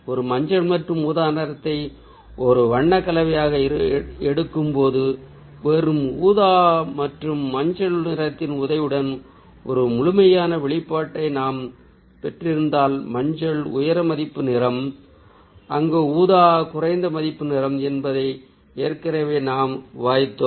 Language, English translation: Tamil, so when we pick up a yellow and purple as a color combination, if we have a complete expression with the help of just purple and ah yellow ah which ah we discussed that ah you know, yellow is a low value color